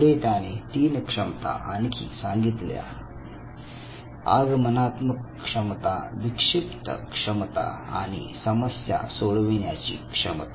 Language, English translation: Marathi, Now, later he added three more abilities that is the inductive ability, the deductive ability and the ability to solve problem